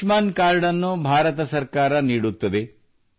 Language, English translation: Kannada, This Ayushman card, Government of India gives this card